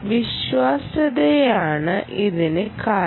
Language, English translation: Malayalam, because of reliability, right